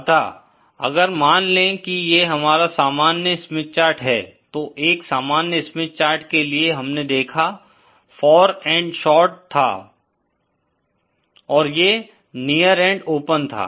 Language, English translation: Hindi, So, if suppose this is our normal Smith chart, then we saw that for a normal Smith chart, the far end was short and then this near end was open